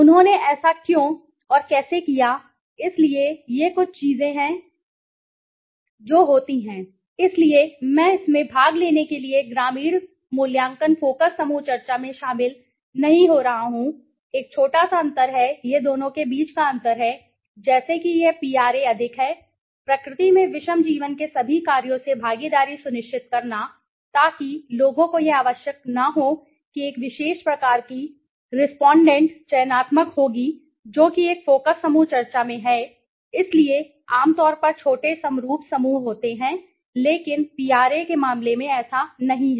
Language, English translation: Hindi, Why and how they did it okay, so these are some of the things which happens, so I am not getting into this in participate rural appraisal focus group discussion there is a small difference this is the difference between the two like this is the PRA is more heterogeneous in nature ensuring participation from all works of life so people is not necessary that a particular kind of respondent would be selective which is their in a focus group discussion right, so typically small homogenous groups but that is not in the case of PRA